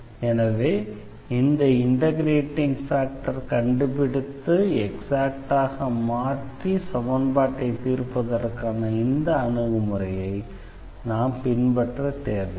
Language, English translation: Tamil, So, we may not follow exactly this approach here finding this integrating factor and then solving the exact equation